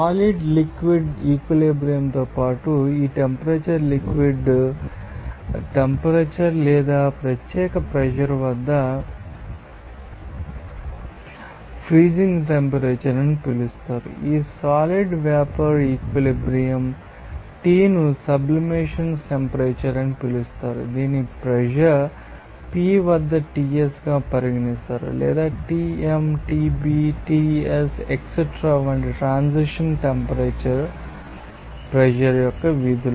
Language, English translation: Telugu, Along the solid liquid equilibrium this temperature will be known as melting point temperature or freezing temperature at particular pressure along this solid vapor equilibrium t known as sublimation temperature that is regarded as Ts at pressure p or transition temperatures like Tm, Tb, Ts etcetera are functions of pressure